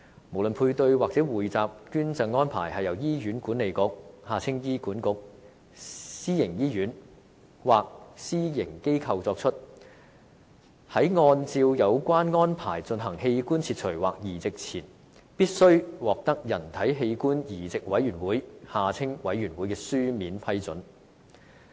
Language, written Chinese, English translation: Cantonese, 不論配對或匯集捐贈安排是由醫院管理局、私營醫院或私營機構作出，在按照有關安排進行器官切除或移植前，均必須獲得人體器官移植委員會的書面批准。, Irrespective of whether a paired or pooled donation arrangement is made by Hospital Authority HA a private hospital or a private organization prior written approval must be obtained from the Human Organ Transplant Board the Board before the carrying out of an organ removal or transplant in accordance with the relevant arrangement